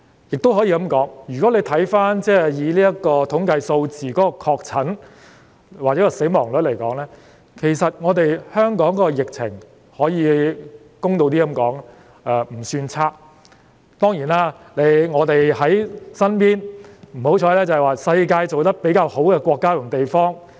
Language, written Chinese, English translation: Cantonese, 如果以確診的統計數字或死亡率來看，其實香港的疫情，公道一點來說，並不算差，只是我們比較倒霉，因為身邊的是世界上防疫抗疫工作做得比較好的國家及地方。, If we refer to the statistics of confirmed cases or the mortality rate we will find that the pandemic situation in Hong Kong to be fair is not bad indeed . It is just our bad luck to be in the vicinity of countries and places which have done a better job in fighting the pandemic